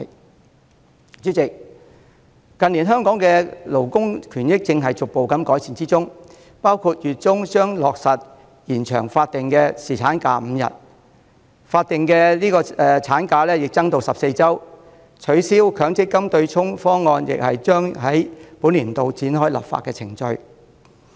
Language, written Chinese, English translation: Cantonese, 代理主席，近年香港的勞工權益正在逐步改善，包括月中將落實延長法定侍產假至5天、法定產假增至14周、取消強制性公積金對沖方案亦將於本年度展開立法程序。, Deputy President labour rights and benefits in Hong Kong have been gradually improving in recent years . Examples include extension of statutory paternity leave to five days which will commence in the middle of this month extension of statutory maternity leave to 14 weeks and commencement of a legislative exercise this year for abolishing the offsetting mechanism of the Mandatory Provident Fund System